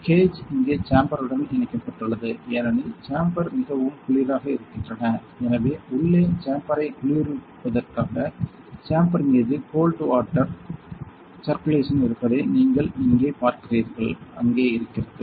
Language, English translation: Tamil, This is the gauge that is connected to the chamber here in the chamber is very very cold because of them; so this line that you are seeing here on the chamber has a cold water circulation inside that is for cooling the chamber; so that is there